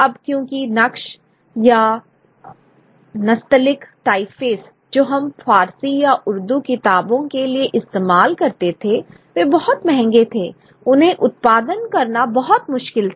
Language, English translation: Hindi, Now because the Nakhsh or the Natshalic type faces which were used for Persian or Urdu books were very expensive, they were very difficult to produce